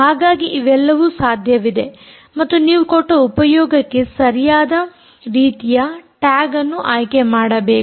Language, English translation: Kannada, so all of these are possible and you may have to choose the right type of tag for a given application